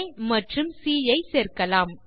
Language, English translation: Tamil, Let us join A and C